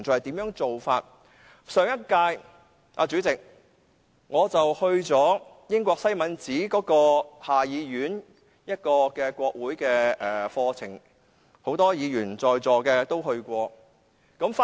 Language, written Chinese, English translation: Cantonese, 主席，在上一屆立法會，我參加了英國下議院的國會課程，很多在座的議員也曾參加。, President in the last Legislative Council I took part in a parliamentary course organized by the House of Commons of the United Kingdom previously so did many Honourable colleagues who are now present